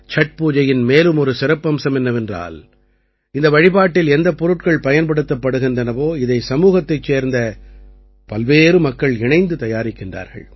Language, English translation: Tamil, Another special thing about Chhath Puja is that the items used for worship are prepared by myriad people of the society together